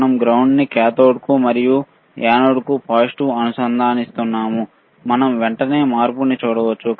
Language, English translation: Telugu, Connection we are connecting ground to cathode and positive to anode, we can immediately see the change